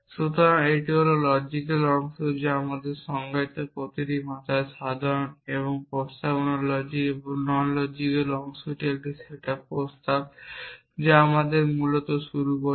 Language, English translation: Bengali, So, this is the logical part which is common in every language that we define and the non logical part in proposition logic and non logical part was a set up proposition that we start off which essentially